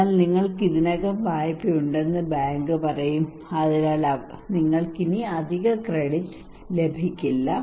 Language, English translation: Malayalam, So the bank would say that you have already loan so you cannot get any extra credit now